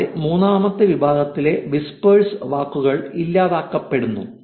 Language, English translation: Malayalam, And there is also third category of whispers being deleted